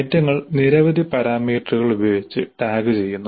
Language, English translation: Malayalam, So the items are tagged with several parameters